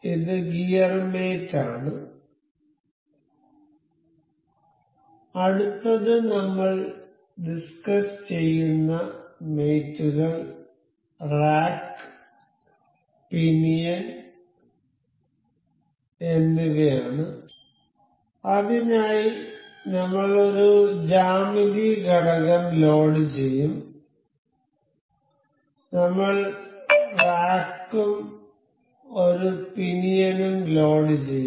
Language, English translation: Malayalam, So, this is gear mate so, the next mate we will discuss about now is rack and pinion for that I will be loading one geometry insert component, I will just load rack and a pinion